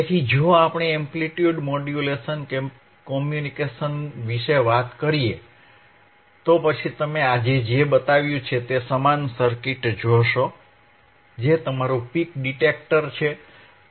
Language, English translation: Gujarati, So, if we talk about amplitude modulation communications, then you will see similar circuit what we have shown today, which is your peak detector, which is are peak detector